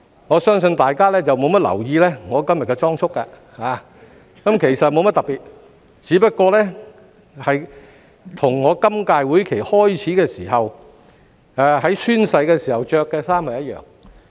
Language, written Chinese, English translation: Cantonese, 我相信大家沒有留意我今天的裝束，其實沒甚麼特別，只是與我在今屆會期開始及進行宣誓時穿着的衣服一樣。, I think in contrast Members have not taken notice of my attire today as there is nothing special about it indeed . These are just the same clothes that I wore at the oath - taking ceremony back then when the current - term Legislative Council commenced